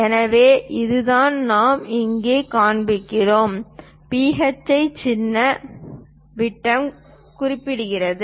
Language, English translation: Tamil, So, that is the thing what we are showing here, the symbol phi represents diameter